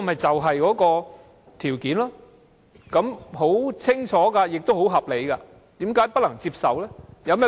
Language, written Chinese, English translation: Cantonese, 這項條件很清楚也很合理，為何不能接受？, This condition is very clear and very reasonable why is it unacceptable?